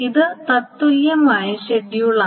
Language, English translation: Malayalam, Now this is the equivalent schedule